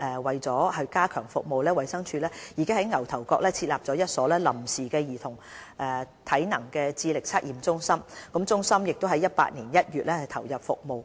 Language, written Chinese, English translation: Cantonese, 為了加強服務，衞生署已在牛頭角設立一所臨時兒童體能智力測驗中心，該中心已於2018年1月投入服務。, To strengthen the service DH has set up a temporary Child Assessment Centre CAC in existing facilities in Ngau Tau Kok which has already commenced operation in January 2018